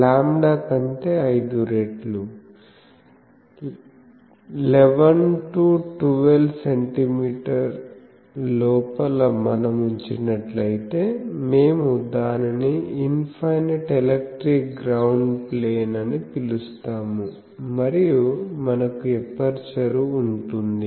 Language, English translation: Telugu, So, 5 times that lambda so, 11 12 centimeter inside if we keep we can call it call infinite electric ground plane and we can have an aperture